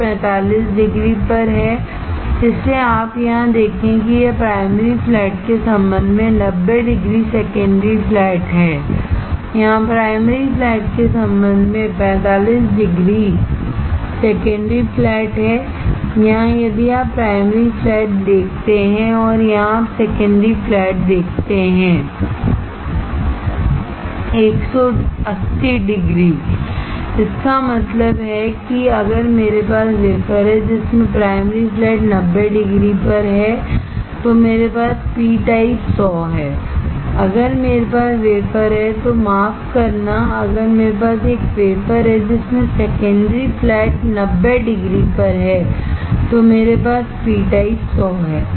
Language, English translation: Hindi, Which is at 45 degree, so you see here it is 90 degree secondary flat with respect to primary flat, here there is 45 degree secondary flat with respect to primary flat, here if you see primary flat and here you see secondary flat this is at 180 degree, that means, that if I have the wafer in which primary flat is at 90 degree, I have p type 100, if I have a wafer, sorry if I have a wafer in which secondary flat is at 90 degree I have 100 p type